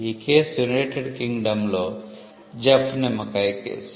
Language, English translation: Telugu, This case was in the United Kingdom the Jeff lemon case